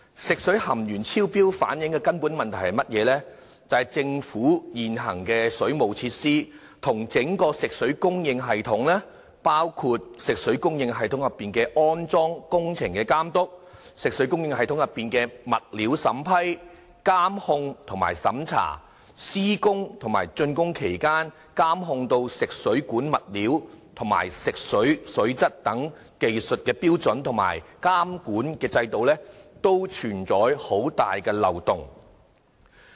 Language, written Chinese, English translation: Cantonese, 食水含鉛超標反映出的根本問題是，政府現行的水務設施與整體食水供應系統，包括食水供應系統內的安裝工程監督、食水供應內的物料審批、監控和審查、施工及竣工期間的監控食水管物料及食水水質等技術的標準和監管制度，均存在很大漏洞。, The discovery of excess lead content in drinking water reflects a very fundamental problem there are significant loopholes in the existing waterworks system as well as the entire fresh water supply system . Loopholes are found in the monitoring of the installation works the approval monitoring and checking of materials used in the fresh water supply system the technical standards for monitoring the materials of fresh water supply pipes and the quality of fresh water during and after the construction works and the relevant regulatory regime